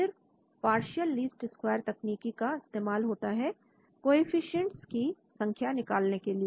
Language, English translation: Hindi, Then, the partial least square technique is applied to compute the coefficients